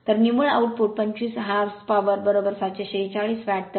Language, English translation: Marathi, So, net output is 25 h p 1 horse power is equal to 746 watt